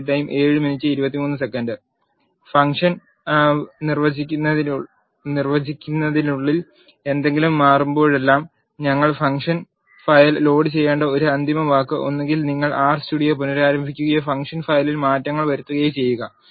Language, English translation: Malayalam, A final word we need to load the function file every time you change something inside the function definition either you restart R studio or make changes in the function file